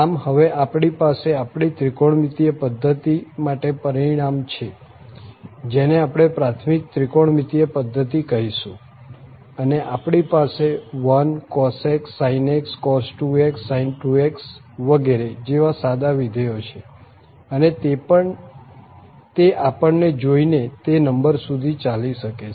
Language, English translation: Gujarati, So, now we have the result for our trigonometric system, so the basic trigonometric system we call the basic trigonometric system and we have the simple functions 1 cos x sin x we have cos 2x sin 2x etc and this can continue to whatever number we want